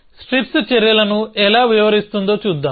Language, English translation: Telugu, So, let us look at how strips describes actions